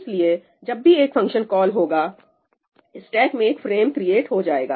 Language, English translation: Hindi, So, whenever a function call is made , there is a frame that is created in the stack